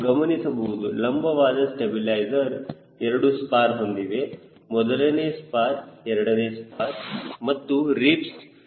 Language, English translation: Kannada, you can see the vertical stabilizer has got two spars, the first spar, the seconds spar and the ribs